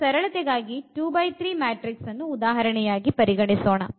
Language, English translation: Kannada, So, let us consider this 2 by 3 matrices for instance just for simplicity